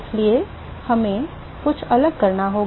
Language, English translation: Hindi, So, we will have to do something slightly different